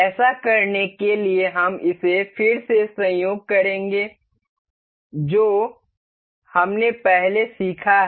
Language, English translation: Hindi, To do this we will coincide it again that we have learned earlier